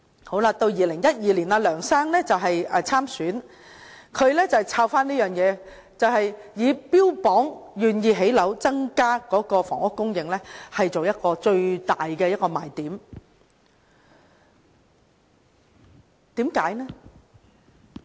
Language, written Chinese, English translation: Cantonese, 到了2012年，梁先生參選特首，他再提到這項措施，標榜他願意興建樓宇增加房屋供應，以此為最大賣點。, Then in 2012 Mr LEUNG ran for Chief Executive . He mentioned this measure again emphasizing his willingness to increase housing supply and took this as the best selling point